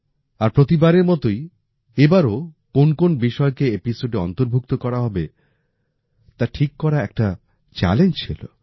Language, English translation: Bengali, And like always, this time as well, selecting topics to be included in the episode, is a challenge